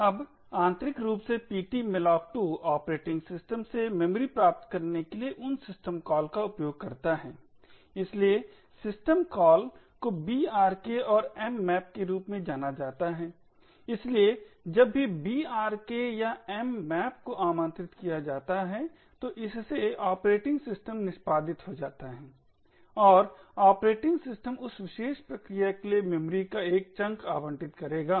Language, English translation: Hindi, Now internally ptmalloc2 uses those systems calls to obtain memory from the operating system, so the system calls are known as brks and mmap, so whenever brk or mmap is invoked so it leads to the operating system getting executed and the operating systems would allocate a chunk of memory for that particular process